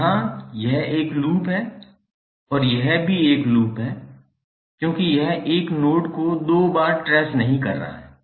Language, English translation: Hindi, So here, this is a loop and this is also a loop because it is not tracing 1 node 1 node 2 times